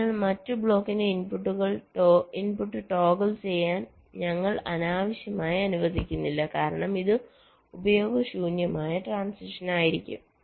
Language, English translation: Malayalam, so we are not unnecessarily allowing the input of the other block to toggle, because this will be use useless transition